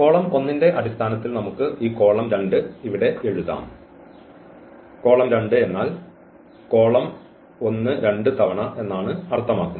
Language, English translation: Malayalam, We can write down this column 2 here in terms of column 1, so column 2 is nothing but the two times the column 1